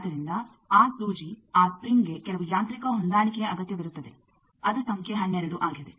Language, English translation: Kannada, So, that needle that spring needs some mechanical adjustment that is number 12